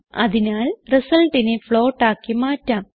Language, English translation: Malayalam, So let us change the result to a float